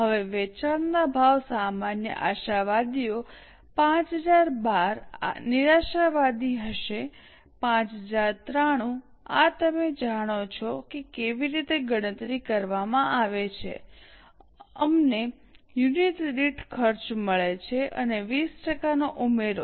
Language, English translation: Gujarati, Now the sale prices normal optimist will be 5012, pessimist will be 5193, this you know how it is calculated, we get cost per unit and add 20%